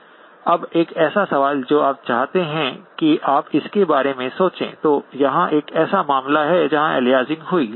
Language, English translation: Hindi, Now a question that just want you to think about, so here is a case where aliasing occurred